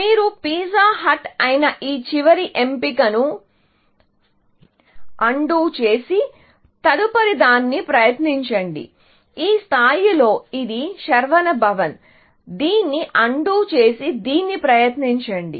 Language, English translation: Telugu, It did not work so, you undo this last choice, which is pizza hut and try the next one, at this level, which is Saravanaa Bhavan; undo this and try this